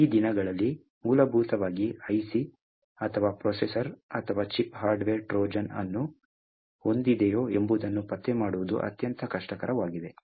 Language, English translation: Kannada, These days, essentially, because it is extremely difficult to detect whether an IC or a processor or a chip is having a hardware Trojan present within it